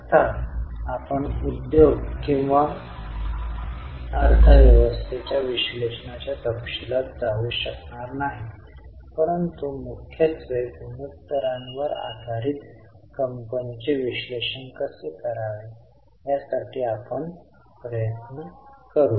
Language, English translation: Marathi, Of course, we will not be able to go into details of industry or economy analysis, but we would try to look at how to do company analysis mainly based on the ratios